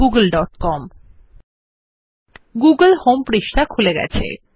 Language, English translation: Bengali, The google home page comes up